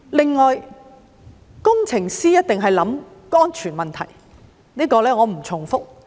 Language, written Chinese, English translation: Cantonese, 此外，工程師一定考慮安全問題，這點我不重複。, In addition engineers should definitely consider safety issues . I do not intend to repeat this point